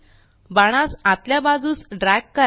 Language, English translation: Marathi, Drag the arrow inwards